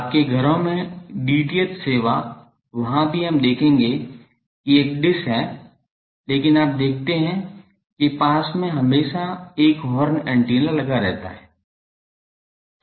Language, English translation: Hindi, In your homes the DTH service there also we will see that there is a dish, but you see that near that there is always sitting a horn antenna